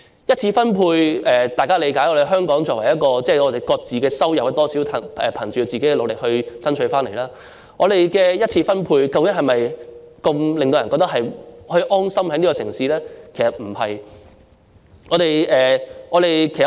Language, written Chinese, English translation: Cantonese, 在香港，大家理解的一次分配是各自的收入，大家是憑藉個人努力而爭取回來的，但我們的一次分配能否令人覺得可以在這城市安心生活呢？, In Hong Kong the primary distribution according to our understanding refers to individual earnings or earnings that we made through our own efforts . But can this primary distribution make people feel that they can live in peace in this city?